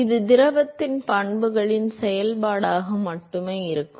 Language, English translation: Tamil, It is going to be only a function of the properties of the fluid